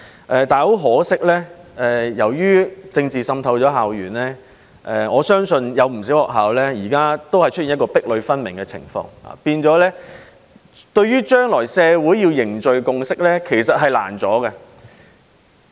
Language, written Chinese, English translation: Cantonese, 但是，很可惜，由於政治滲透校園，我相信有不少學校現在都出現壁壘分明的情況，導致將來的社會較難凝聚共識。, However regrettably as a result of the infiltration of political forces into school campuses I believe many schools are now seriously divided thereby making it difficult for the community to build consensus in the future